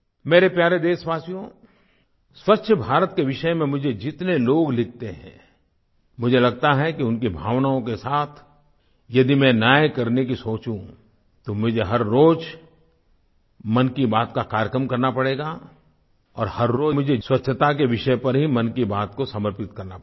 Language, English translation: Hindi, My dear countrymen, a multitude of people write to me about 'Swachch Bharat', I feel that if I have to do justice to their feelings then I will have to do the program 'Mann Ki Baat' every day and every day 'Mann Ki Baat' will be dedicated solely to the subject of cleanliness